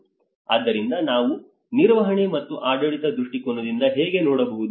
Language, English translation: Kannada, So how we can look at the management and the governance perspective